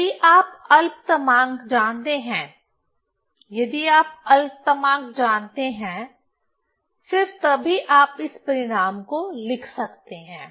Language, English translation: Hindi, So, if we know the list count, if we know the list count, so then only you can you can write this result